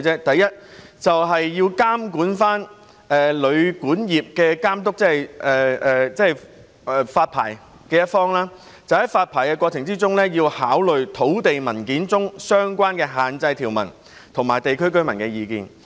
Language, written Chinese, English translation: Cantonese, 第一，是監管旅管業的監督，即發牌的一方在發牌過程中，要考慮土地文件中相關的限制條文和地區居民的意見。, First the Hotel and Guesthouse Accommodation Authority that is the licensing authority should take into account in the licensing process the relevant restrictive provisions in land documents and local residents views